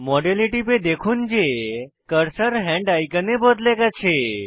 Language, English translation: Bengali, Click on the model and Observe that the cursor changes to a hand icon